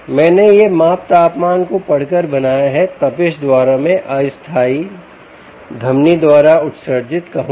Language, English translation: Hindi, i made this measurement by reading the temperature, by the heat, i would say, emanated by the temporal artery